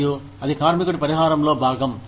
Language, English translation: Telugu, And, that is part of the worker